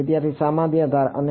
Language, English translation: Gujarati, The common edge and